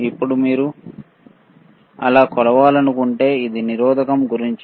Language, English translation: Telugu, Now, if we if you want to measure so, this is about the resistance